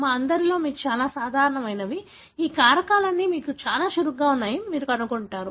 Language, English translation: Telugu, What you find in all of us who are very normal that you have all these factors are very active